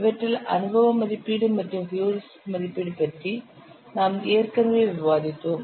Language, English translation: Tamil, We have already discussed empirical estimation and heuristic estimation